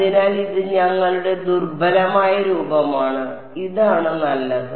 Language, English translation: Malayalam, So, this is our weak form this is this is fine